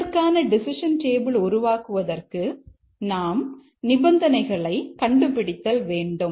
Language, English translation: Tamil, To develop the decision table for this, we need to identify the conditions